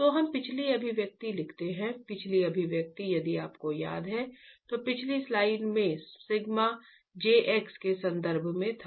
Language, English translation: Hindi, So we write the previous expression, the previous expression if you remember in the previous slide was in terms of sigma j x